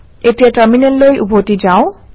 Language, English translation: Assamese, Let us go back to the Terminal